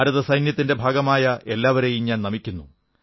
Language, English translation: Malayalam, I respectfully bow before all of them who are part of the Indian Armed Forces